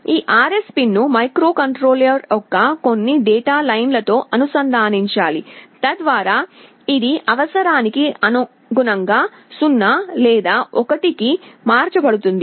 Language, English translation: Telugu, This RS pin has to be connected to some data line of the microcontroller so that it can change it to 0 or 1 as per the requirement